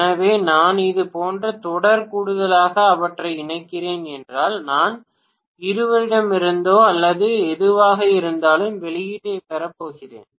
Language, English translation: Tamil, So, if I am connecting them in series addition like this and then I am going to get the output maybe from only both of them or whatever… Both of them